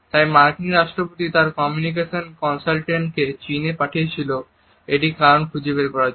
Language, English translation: Bengali, So, immediately the US President send his communication consultant to China in order to find out the reason behind it